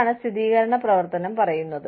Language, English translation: Malayalam, That is what, affirmative action says